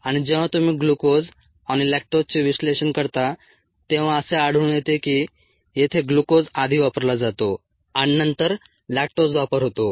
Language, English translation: Marathi, and when you do the analysis of glucose and lactose, one finds that glucose gets consumed here first and then lactose gets consumed